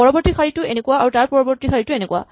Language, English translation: Assamese, The next row looks like this and the next row